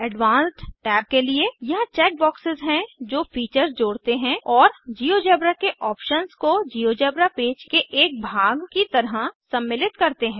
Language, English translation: Hindi, Now to the Advanced Tab There are a number of check boxes that add features and options of GeoGebra to include as part of the GeoGebra page